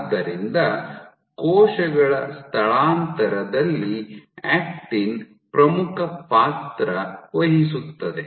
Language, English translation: Kannada, So, actin plays a key role in cell migration